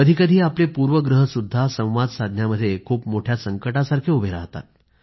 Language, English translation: Marathi, Sometimes our inhibitions or prejudices become a big hurdle in communication